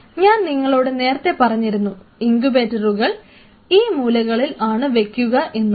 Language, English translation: Malayalam, So, I have already told you that this is where you will be placing the incubators formed in the corners